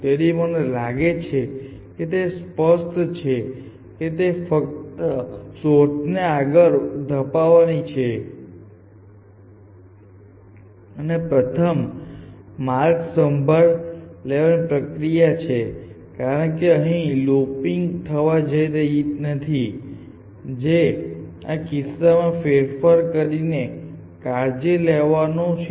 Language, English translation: Gujarati, So, I hope this is clear this mechanism for pushing the search only in the forward direction and taking care of the first path because there is no looping which is going to take place taking care in this case by modifying